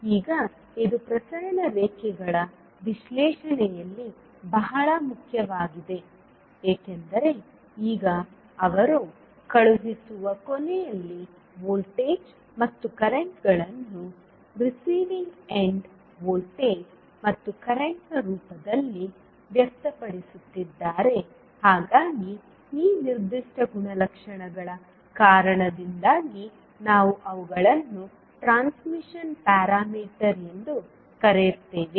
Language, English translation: Kannada, Now this is very important in the analysis of transmission lines because now they are expressing the sending end voltages and currents in terms of receiving end voltage and current so because of this particular property we call them as a transmission parameters